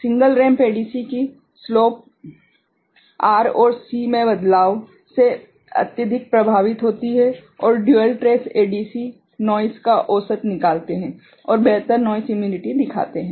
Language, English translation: Hindi, Slope of single ramp ADC is highly affected by variation in R and C and dual trace ADC averages out noise and shows better noise immunity